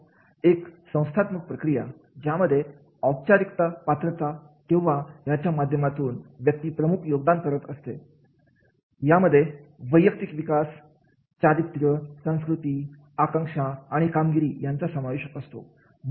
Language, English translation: Marathi, Institutional process and formal qualifications are major contributor to personal development, character, culture, aspiration and achievement is there